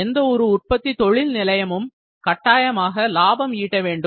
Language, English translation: Tamil, Any manufacturing enterprise exist just to earn profit